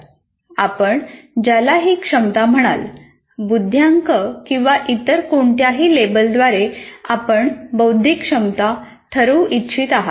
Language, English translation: Marathi, After all, whatever you call IQ or whatever it is, whatever label that you want to give, the cognitive ability